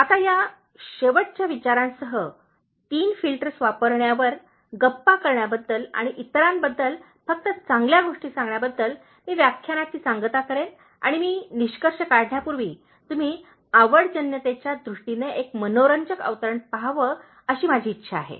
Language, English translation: Marathi, Now, with this last thought, on using Three Filters, with regard to gossiping and saying only good things about others, I will conclude the lecture and I just want you to look at one interesting quote in terms of likeability, before I conclude